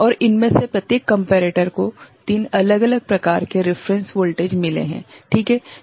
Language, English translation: Hindi, And each of this comparator has got 3 different kind of reference voltages ok